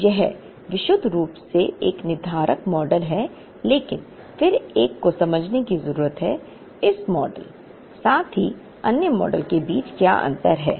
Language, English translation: Hindi, So, this is the purely a deterministic model but, then one needs to understand the difference between this model, as well as the other model